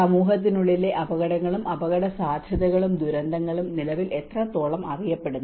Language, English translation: Malayalam, To what extent are hazards, risks, and disasters within society currently well known